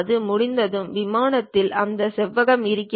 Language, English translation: Tamil, Once it is done you will have that rectangle on the plane